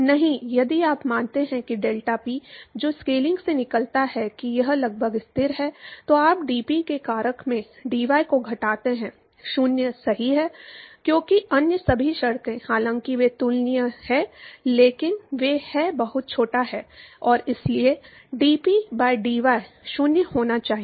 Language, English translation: Hindi, No, if you assume that the deltaPy, which comes out from the scaling that it is approximately constant, then you put reduce into the factor of dP by dy is 0 right, because all the other terms, although they are comparable, but they are very very small and therefore, dP by dy has to be 0